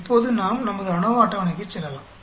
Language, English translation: Tamil, Now, we can go for our ANOVA table